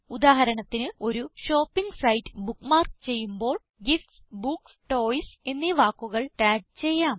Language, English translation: Malayalam, * For example, when you bookmark a shopping site, * You might tag it with the words gifts, books or toys